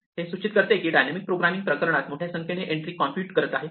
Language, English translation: Marathi, This suggests that dynamic programming in this case, is wastefully computing a vast number of entries